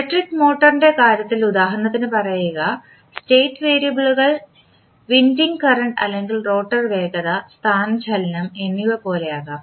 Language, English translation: Malayalam, Say for example in case of electric motor, state variables can be like winding current or rotor velocity and displacement